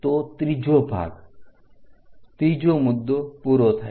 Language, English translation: Gujarati, So, 3rd part 3rd point is done